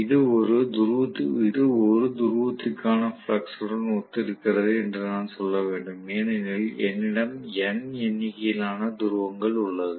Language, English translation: Tamil, I should say this corresponds to flux per pole because there are N number of poles I can have; you know that multiplied by so many poles